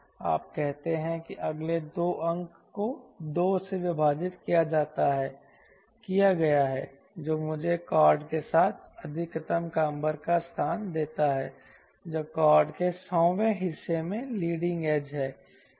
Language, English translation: Hindi, you say next two digits divided by two is that gives me the location of maximum camber along the chord line from leading edge in hundredth of the chord right